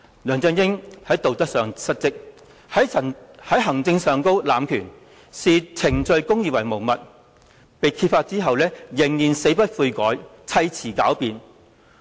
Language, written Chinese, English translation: Cantonese, 梁振英在道德上失職，在行政上濫權，視程序公義為無物，事件被揭發後仍然死不悔改，砌詞狡辯。, LEUNG Chun - ying has neglected his duty morally abused power administratively and disregarded procedural justice . Worse still he remained unrepentant after the case was uncovered and made up all sorts of lame excuses